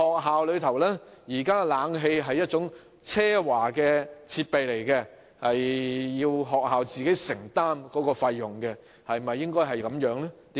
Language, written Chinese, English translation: Cantonese, 此外，冷氣現時被視為奢華的學校設備，學校要自行承擔費用；情況應否如此？, Also air conditioning is currently regarded as a luxury for schools which are required to bear the cost of it on their own . Should this be the case?